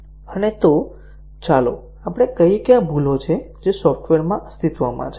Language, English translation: Gujarati, And, so let us say these are the bugs which are existing in the software